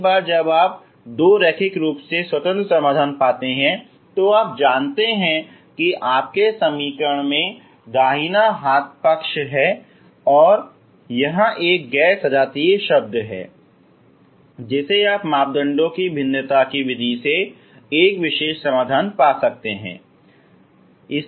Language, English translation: Hindi, Once you find two linearly independent solutions ok you know if it is if your equation is having right hand side it is a non homogeneous term you can find a particular solution by the method of variation of parameters, ok